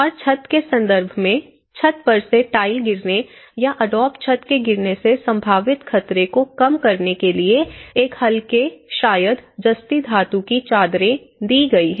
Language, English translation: Hindi, And in terms of roof, there has been a lightweight probably galvanized metal sheets roofing to reduce potential danger to occupants from falling roof tiles or the adobe roofs